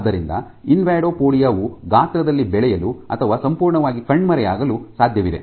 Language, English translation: Kannada, So, an invadopodia it is possible and for an invadopodia to grow in size or to disappear altogether